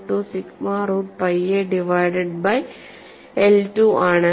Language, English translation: Malayalam, 12 sigma root pi a divided by q